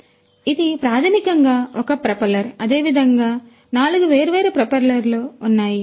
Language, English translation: Telugu, So, this is basically one propeller likewise there are 4 different propellers